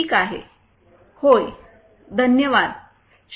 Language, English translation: Marathi, Ok sir, thank you sir